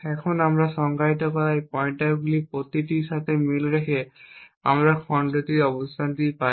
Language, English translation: Bengali, Now corresponding to each of these pointers which we have defined we get the location of the chunk